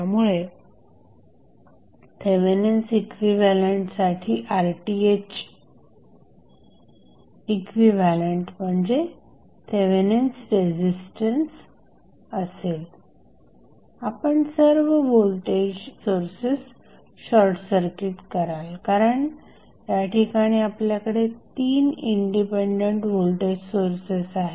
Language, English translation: Marathi, So, for Thevenin equivalent the equivalent circuit for Rth that is Thevenin resistance would be you will short circuit all the voltage sources because they are you have 3 independent voltage sources